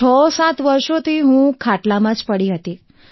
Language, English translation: Gujarati, For 67 years I've been on the cot